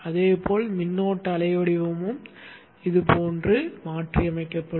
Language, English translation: Tamil, Likewise the current wave shape also will get modified something like this